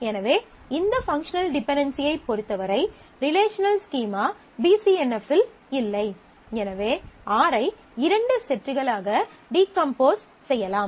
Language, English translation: Tamil, So, with respect to this functional dependency, the relational schema is not in BCNF, then we can decompose R by two sets